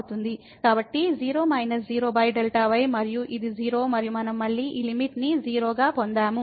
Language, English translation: Telugu, So, 0 minus 0 over delta and this is 0 and we got again this limit as 0